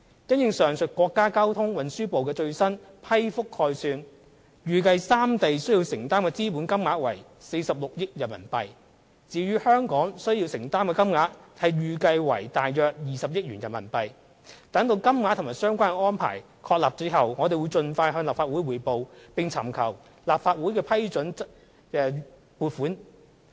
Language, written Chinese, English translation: Cantonese, 因應上述國家交通運輸部的最新批覆概算，預計三地需要承擔的資本金額為約46億元人民幣；至於港方需承擔的金額則預計為約20億元人民幣，待金額及相關安排確定後，我們會盡快向立法會匯報，並尋求立法會批准撥款。, According to the latest project estimate approved by the State Ministry of Transport it was expected that the three regions would need to contribute additional capital funds totalling about RMB4.6 billion of which about RMB2.0 billion would be borne by Hong Kong . When the amount and arrangements are confirmed we will report to the Legislative Council and seek its approval for additional funding